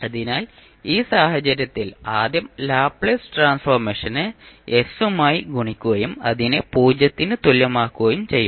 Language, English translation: Malayalam, So, in this case we will first multiply the Laplace transform with s and equate it for s is equal to 0